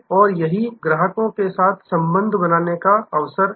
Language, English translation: Hindi, And those are opportunities for building relation with the customer